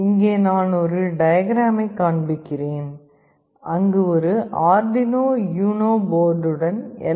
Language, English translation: Tamil, Here I am showing a diagram where with an Arduino UNO board we are trying to connect a LM35